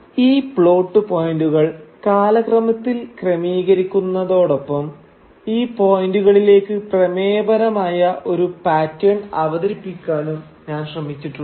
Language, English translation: Malayalam, But I have also tried, while listing these plot points chronologically, I have also tried to introduce a thematic pattern into these points